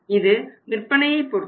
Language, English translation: Tamil, It is of the sales